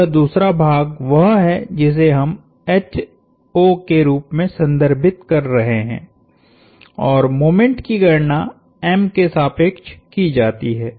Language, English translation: Hindi, So, this second part is what we are referring to as H o and the moment is computed about m